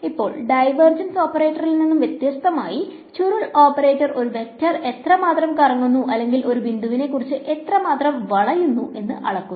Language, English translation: Malayalam, Now unlike the divergence operator the curl operator measures how much a vector swirls or how much it twists about a point